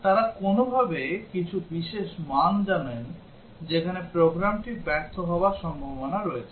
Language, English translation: Bengali, They somehow know some special values where the program is likely to fail